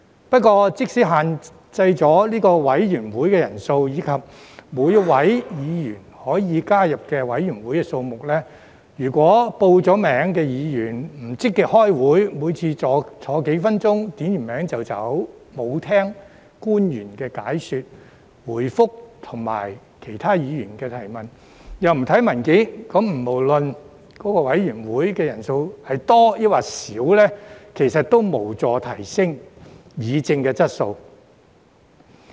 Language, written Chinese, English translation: Cantonese, 不過，即使限制委員會人數，以及每位議員可以加入委員會的數目，如果已報名的議員不積極開會，每次坐幾分鐘，點了名便走，沒有聽取官員的解說、回覆及其他議員的提問，又不看文件，那麼不論該委員會的人數是多或少，其實亦無助提升議政的質素。, However even if the membership size of a committee and the number of committees each Member may join are limited suppose Members who have signed up do not actively attend the meetings or every time after sitting for a few minutes and having their attendance taken they would just leave . They would not listen to the explanations and replies made by the officials or questions raised by other Members . Neither would they read the papers